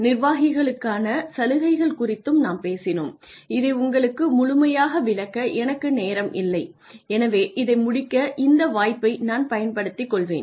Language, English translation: Tamil, We also talked about incentives for executives and I did not have a chance to explain this fully to you so I will take this opportunity to finish this